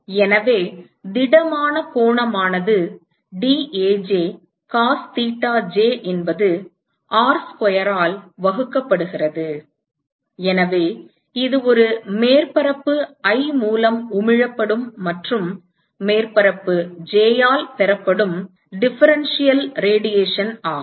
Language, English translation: Tamil, So, the solid angle is dAj cos thetaj divided by R square, so that is the differential radiation that is emitted by a surface i and is received by surface j